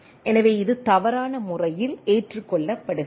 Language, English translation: Tamil, So, it is accepted in a erroneous manner right